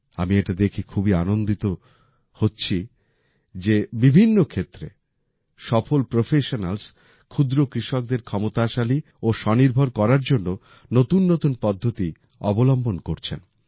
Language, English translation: Bengali, I feel very happy to see that successful professionals in various fields are adopting novel methods to make small farmers empowered and selfreliant